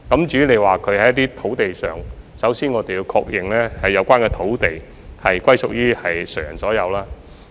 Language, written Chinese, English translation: Cantonese, 至於在一些土地上的棄置車輛，首先，我們要確認有關土地屬於誰人所有。, As for abandoned vehicles on a certain land lot we must first ascertain the owner of the land lot